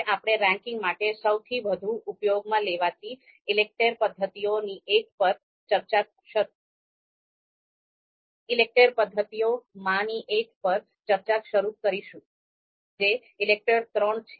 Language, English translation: Gujarati, Now we are going to start our discussion on one of the you know most used ELECTRE method for ranking that is ELECTRE III